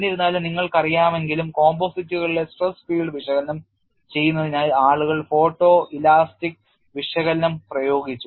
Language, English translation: Malayalam, But nevertheless you know, people have utilized photo elastic analysis for analyzing stress field in composites and that is what am going to show